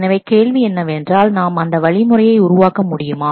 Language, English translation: Tamil, So, the question is can we make some strategy